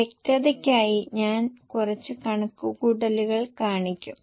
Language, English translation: Malayalam, I will show some more calculations for clarity